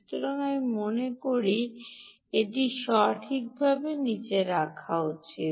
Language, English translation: Bengali, so i think i should put it down correctly before we go there